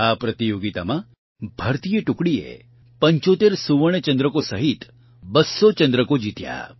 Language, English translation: Gujarati, In this competition, the Indian Team won 200 medals including 75 Gold Medals